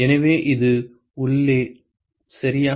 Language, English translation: Tamil, So, this is for the inside ok